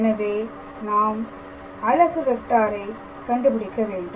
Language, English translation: Tamil, So, then in that case what will be our unit vector